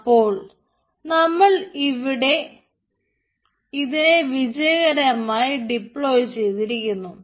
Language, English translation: Malayalam, right, so it has deployed successfully